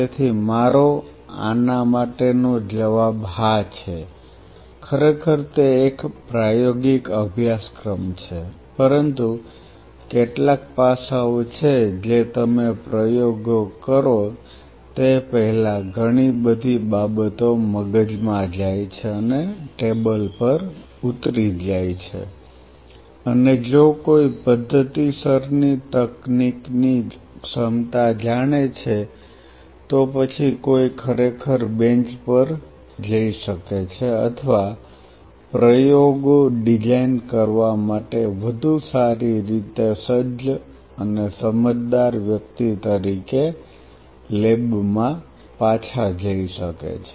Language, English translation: Gujarati, So, my answer to this is yes indeed it is a practical course, but there are aspects because before you do a practical a lot of things goes in the brain and jot down on the table and if one is systematically knows the power of a technique then one really can go back to the bench or go back to the lab as a much more well equipped and a wise individual to design experiments